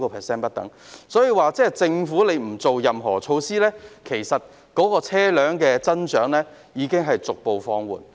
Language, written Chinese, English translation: Cantonese, 所以，即使政府不推出任何措施，車輛的增長其實已逐步放緩。, Therefore even if the Government does not implement any measures the growth has actually been slowing down gradually